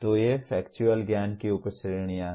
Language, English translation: Hindi, So these are the subcategories of factual knowledge